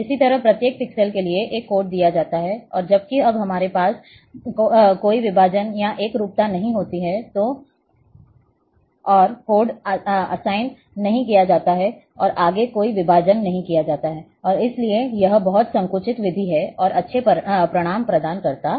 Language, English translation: Hindi, So, likewise for each pixel, a code is given, and whereas, when we don’t have any divisions or homogeneity is there, no further codes are assigned and no further divisions are made, and therefore, it is very compressed method and provides good results